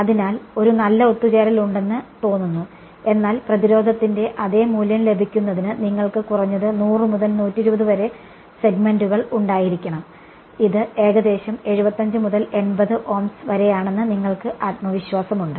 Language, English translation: Malayalam, So, there seems to be a good convergence, but you need to have at least about 100 to 120 segments to get the same value of resistance right and you have some confidence that it's about 75 to 80 Ohms